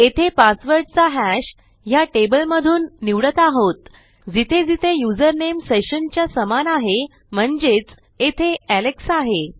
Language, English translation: Marathi, So, what we are doing is we are selecting our password hash from this table where the username is equal to the session name, and that is equal to Alex